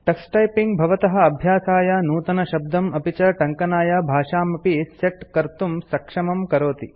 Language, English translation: Sanskrit, Tuxtyping also enables you to enter new words for practice and set the language for typing